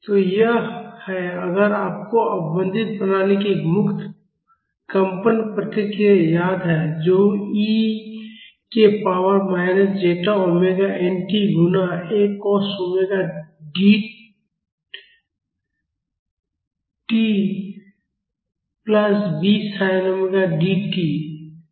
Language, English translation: Hindi, So, this is if you remember the free vibration response of the damped system which is equal to e to the power minus zeta omega nt multiplied by A cos omega Dt plus B sin omega Dt